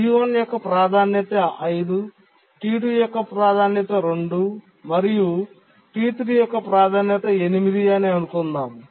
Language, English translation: Telugu, We have these, let's assume that T1's priority is 5, T2's priority is 2 and T3's priority is 8